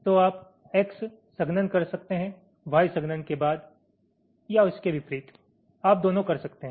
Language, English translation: Hindi, so you can do x compaction followed by y compaction or vice versa